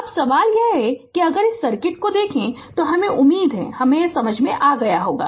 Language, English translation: Hindi, Now question is that if you look into this circuit let me I hope you have understood this right